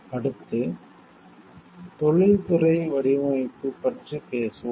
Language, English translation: Tamil, Next we will talk about industrial design